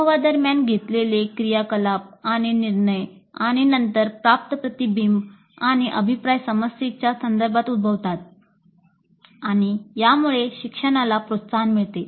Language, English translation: Marathi, The activities and decisions made during the experience and the later reflection and feedback received occur in the context of the problem and this promotes learning